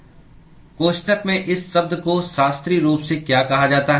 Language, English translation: Hindi, What is this term in the bracket called as classically